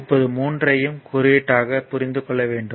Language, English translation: Tamil, Now, 3 you have to understand each and everything as symbol also